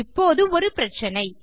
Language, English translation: Tamil, But now weve a problem